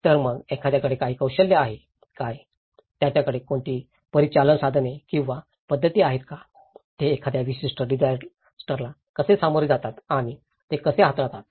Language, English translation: Marathi, So, do they have any skills, do they have any operational tools or methods, how they approach and tackle a particular disaster